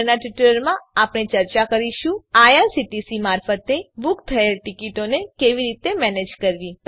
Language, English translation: Gujarati, In the next tutorial we will discuss how to manage the tickets booked through IRCTC